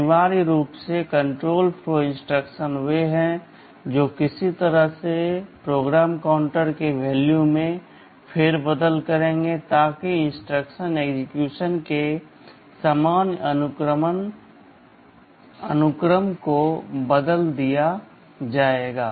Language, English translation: Hindi, Essentially control flow instructions are those that will be altering the value of PC in some way so that the normal sequence of instruction execution will be altered